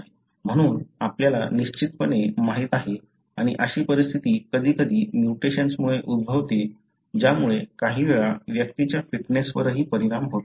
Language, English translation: Marathi, Therefore we know for sure and such conditions sometimes happen because of mutations which affects even at times the fitness of the individual